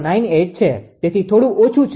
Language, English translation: Gujarati, 0098 so slightly less